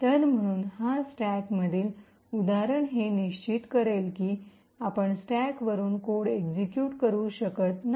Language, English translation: Marathi, So, therefore the example in the stack this particular bit would ensure that you cannot execute code from the stack